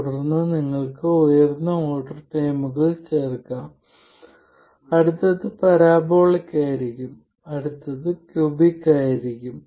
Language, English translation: Malayalam, And then you can add higher order terms, the next one will be parabolic and the next one will be cubic and so on